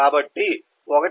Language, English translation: Telugu, 1 this is 1